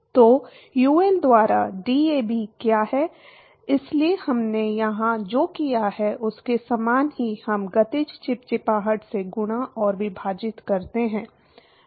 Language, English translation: Hindi, So, what is DAB by UL, so very similar to what we did here, we multiply and divide by the kinematic viscosity